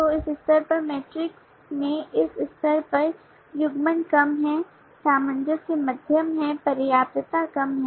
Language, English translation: Hindi, so in the metrics at this stage stand at this level the coupling is low, the cohesion is moderate, the sufficiency is very low